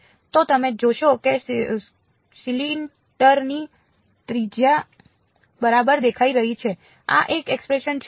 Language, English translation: Gujarati, So, you notice the radius of the cylinder is appearing ok, this is one expression